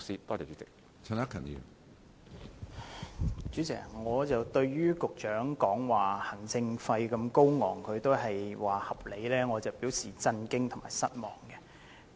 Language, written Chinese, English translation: Cantonese, 主席，雖然行政費用如此高昂，但局長仍表示是合理的，我對此表示震驚和失望。, President even though the administration fee is so high the Secretary still asserts that it is reasonable . I am shocked and disappointed by this